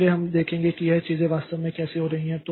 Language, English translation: Hindi, So, we'll see how these things are actually taking place